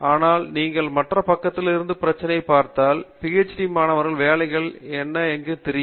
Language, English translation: Tamil, But if you look at the problem from the other side from the pull side you know as to where are the jobs for PhD students specifically